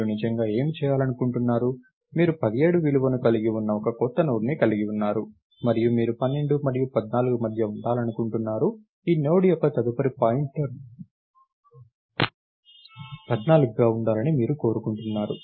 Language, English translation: Telugu, What you really want to do is, you you have a new Node which contains the value 17 and since, you wanted between 12 and 14, you want this node's next pointer to be 14, right